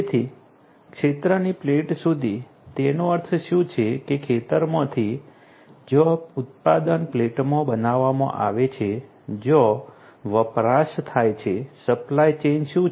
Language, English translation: Gujarati, So, field to plate so, what it means is that from the field where the production is made to the plate where the consumption is made, what is the supply chain